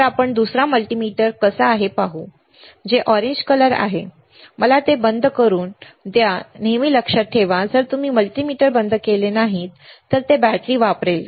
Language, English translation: Marathi, So, how about we see the other multimeter, right which is the orange one, let me switch it off always remember if you do not switch off the multimeter it will consume the battery